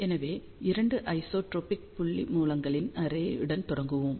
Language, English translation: Tamil, So, let us start with array of 2 isotropic point sources